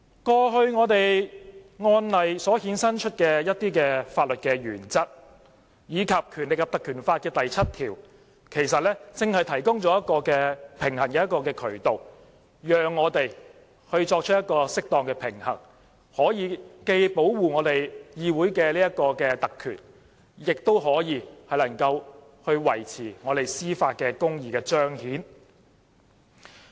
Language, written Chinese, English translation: Cantonese, 過去一些案例衍生出的法律原則，以及《條例》第7條，正正提供了一個平衡渠道，讓我們作出適當的平衡，既可以保護議會特權，亦可以維持司法公義的彰顯。, Certain legal principles arising from some previous cases as well as section 7 of the Ordinance exactly offer such a way to balance the two . This enables us to strike the right balance between protecting parliamentary privilege and manifesting judicial justice